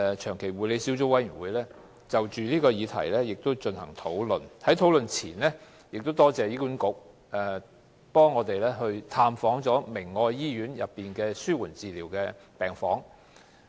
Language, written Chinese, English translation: Cantonese, 長期護理小組委員會剛就這項議題進行討論，而我亦感謝醫管局在討論前安排委員探訪明愛醫院的紓緩治療病房。, The Joint Subcommittee on Long - term Care Policy recently discussed this subject and I am also grateful to HA for arranging for a visit to the palliative care ward of the Caritas Medical Centre for its members prior to the discussion